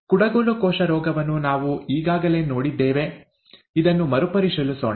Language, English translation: Kannada, We have already seen the sickle cell disease; let us review this